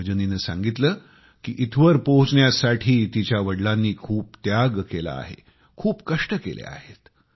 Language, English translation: Marathi, According to Rajani, her father has sacrificed a lot, undergone hardships to help her reach where she is